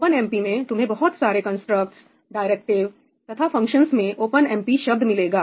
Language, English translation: Hindi, In OpenMP, you will find a lot of constructs, directive, functions containing the word ‘omp’